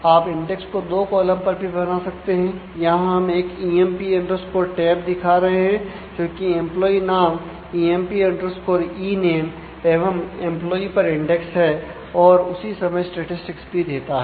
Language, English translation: Hindi, You can create index on two columns also; so, here we are showing one where emp tab is indexed on employee name emp ename and employee number together